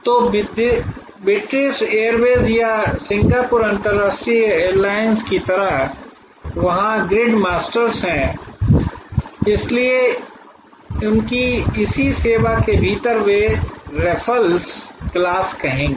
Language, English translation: Hindi, So, like British airways or Singapore international airlines there grid masters, so within their same service they will say raffles class